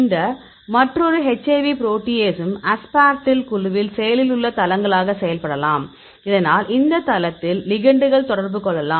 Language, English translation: Tamil, This another HIV protease here also you can aspartyl groups, this can be acting as this active sites so that the ligands can go on interact at this site